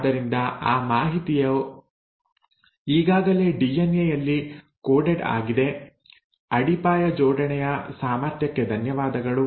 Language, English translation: Kannada, So that information is kind of coded already in the DNA, thanks to the ability of base pairing